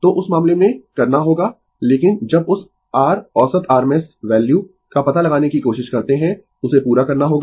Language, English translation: Hindi, So, in that case you have to, but when you try to find out that your average rms value, you have to complete